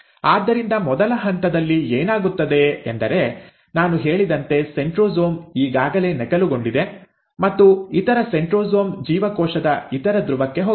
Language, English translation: Kannada, So what happens in the first step is that as I mentioned, the centrosome has already duplicated and the other centrosome has gone to the other pole of the cell